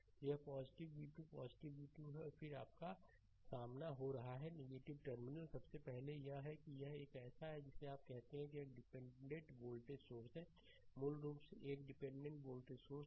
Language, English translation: Hindi, So, it is plus v 2 plus v 2 right and then your it is encountering minus terminal, first, it is it is a it is a what you call it is a dependent voltage source, right, basically is a dependent voltage source